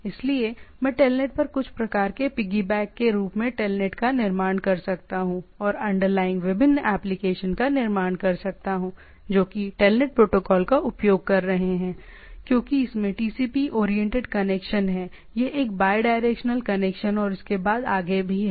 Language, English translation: Hindi, So, I can build telnet as the some sort of a piggyback on telnet and build different applications underlying it will be using the TELNET protocol right, because it has a TCP oriented connection it is a bidirectional connection and so forth